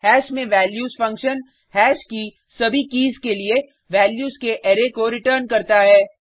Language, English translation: Hindi, values function on hash returns an array of values for all keys of hash